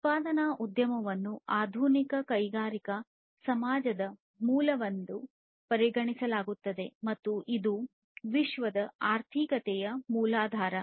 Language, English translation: Kannada, So, a manufacturing industry is considered as a base of modern industrial society and is the cornerstone of the world economy